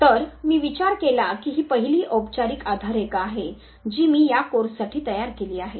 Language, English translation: Marathi, So, I considered that this was now the first formal base line if I create it for this very course